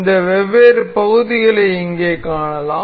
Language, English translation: Tamil, We can see this different parts here